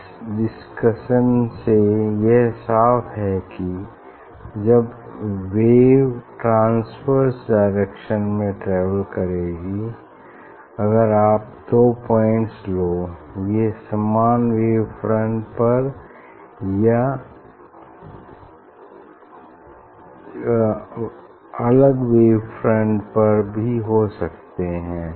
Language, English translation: Hindi, from this discussion it is clear that when the wave is travelling in this direction in transverse direction if you take two point it can be on same; it can be on same wave front or it can be on different, no it has to be on same wave front